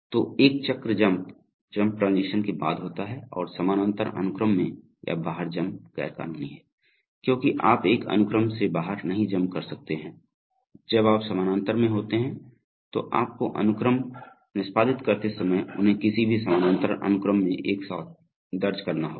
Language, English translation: Hindi, So a jump cycle, jump occurs after transitions and jump into or out of parallel sequence is illegal because you cannot jump out of one sequence, when you are in parallel, you must enter them together in any parallel sequence while you are executing the sequence you maybe in different states at different arms but you must enter them together and you must leave them together